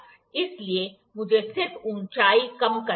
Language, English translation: Hindi, So, I have to just reduce the height